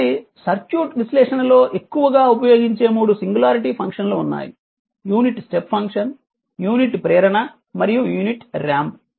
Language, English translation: Telugu, So, in circuit analysis the 3 most widely used singularity function are the unit step function the units impulse and the unit ramp